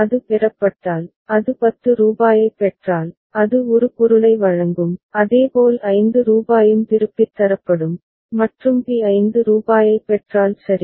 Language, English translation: Tamil, If it is receives, if it receives rupees 10, it will deliver a product as well as rupees 5 will be returned and at b if it receives rupees 5 ok